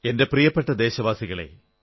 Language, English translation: Malayalam, I thank you my dear countrymen